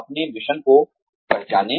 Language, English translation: Hindi, Identify your mission